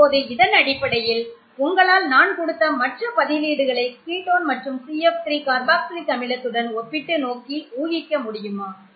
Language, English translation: Tamil, Now based on this, can you predict how the values of these other substituents would compare with the ketone and CF3 and carboxylic aci, which I have given here